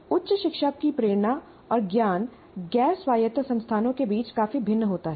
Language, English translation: Hindi, Motivations and knowledge of higher education vary considerably among the non autonomous institutions